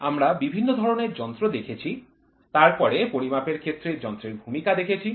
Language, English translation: Bengali, We saw various types of instruments, then the role of instruments in measurements